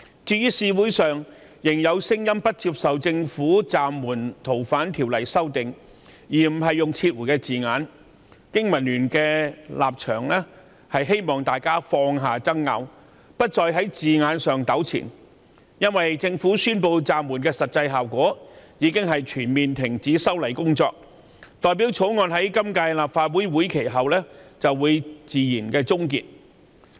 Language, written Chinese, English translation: Cantonese, 對於社會上仍然有人不接受政府暫緩《逃犯條例》修訂，而沒有用上"撤回"一詞，經民聯希望大家放下爭拗，不要再在字眼上糾纏，因為政府宣布暫緩修例的實際效果，就是全面停止修例工作，意味着《條例草案》會在今屆立法會任期結束後自然終結。, Noting that some people refuse to accept the Governments suspension of the amendment to FOO for the reason that the term withdrawal was not used BPA holds that we should put aside this argument and stop dwelling on the wording because the suspension announced by the Government is in effect a complete cessation of the exercise which implies that the Bill will lapse after the current term of the Legislative Council